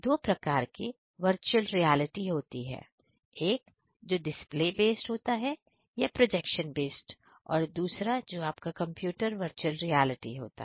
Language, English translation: Hindi, There are two kinds of VR that is one is your come display base VR, projection based VR and second is your computer VR desktop VR